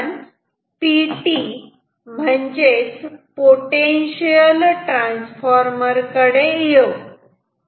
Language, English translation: Marathi, Now, let us come to PT that is Potential Transformer